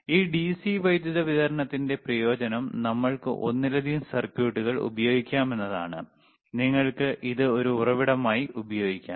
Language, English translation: Malayalam, aAdvantage of this DC power supply is that we can use multiple circuits, and you can use this as a source, you can use this as a source, that is the advantage ok